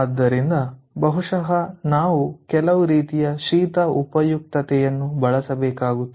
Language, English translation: Kannada, so maybe we have to use some sort of cold utility